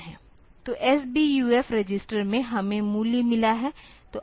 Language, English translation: Hindi, So, in the S BUF register we have got the value